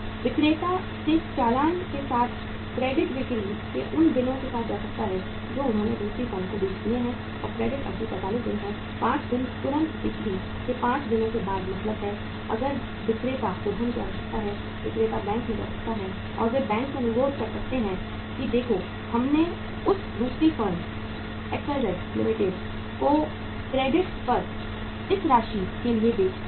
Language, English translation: Hindi, The seller can go with that invoice with those bills of credit sales which they have sold to the other firm and the credit period is 45 days; 5 days immediately means 5 days after the sales if the seller needs the funds, seller can go to the bank and they can request the bank that look we have sold for this much of amount on credit to this second firm XYZ Limited